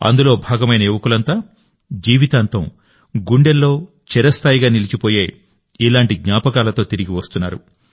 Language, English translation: Telugu, All the youth who have been a part of it, are returning with such memories, which will remain etched in their hearts for the rest of their lives